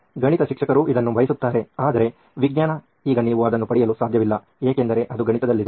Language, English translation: Kannada, Maths teacher wants this, but the science, now you can’t get it because it’s in maths